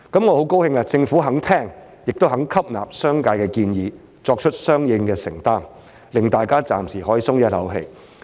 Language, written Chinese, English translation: Cantonese, 我很高興政府肯聆聽和吸納商界的建議，並作出相應的承擔，令大家暫時可以鬆一口氣。, I am very glad that the Government is willing to listen to and adopt the suggestions made by the business sector and make commitments accordingly hence enabling us to breathe a sigh of relief for the time being